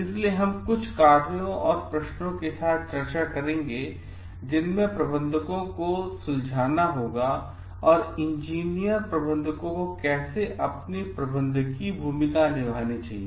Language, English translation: Hindi, So, we will discuss with some functions and questions that managers must deal with and more so like the engineers managers must deal with in their managerial role